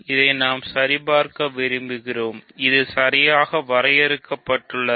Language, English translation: Tamil, So, we want to check this, this is exactly the well definedness